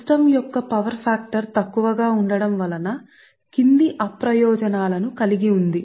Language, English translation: Telugu, the poor power factor of the system has the following disadvantages